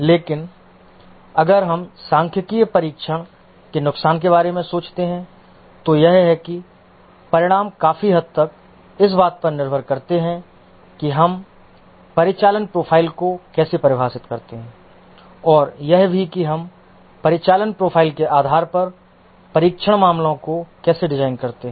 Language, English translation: Hindi, But if we think of the disadvantages of statistical testing, one is that the results to a large extent depend on how do we define the operational profile and also how do we design the test cases based on the operational profile